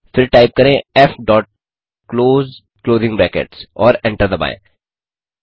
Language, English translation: Hindi, Then type f dot close closing brackets and hit Enter